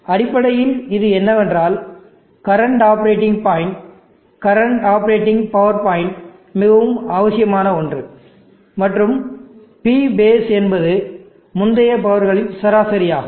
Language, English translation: Tamil, And I will name it as P current, what it basically means that this is the current operating point, current operating power point the most immediate one and P base is a kind of an average the previous powers